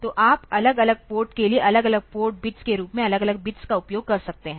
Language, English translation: Hindi, So, you can you can use this individual bits for different port as different port bits ok